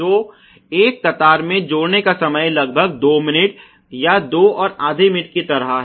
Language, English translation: Hindi, So, the tack time of a line is something like about two minutes or two and half minutes